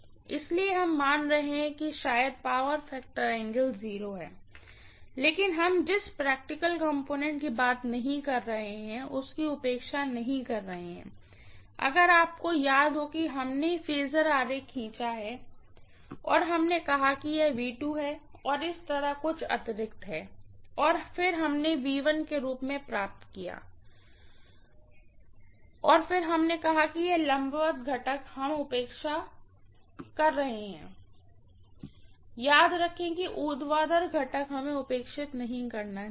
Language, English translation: Hindi, So we are assuming probably the power factor angle to be 0 but we are not neglecting the practical component what we talked about, if you may recall we drew the phasor diagram and we said this is V2 and there is some additional like this and then we are getting this as V1 dash and then we said this vertical components we are neglecting, remember that vertical component we should not neglect